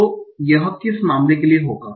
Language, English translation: Hindi, So for which of the case it will be one